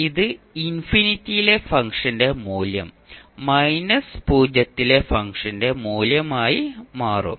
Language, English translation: Malayalam, Or you can write the value of function at infinity minus value of function at zero